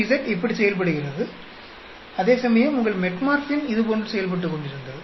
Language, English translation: Tamil, THZ is performing like this; whereas, your Metformin was performing like this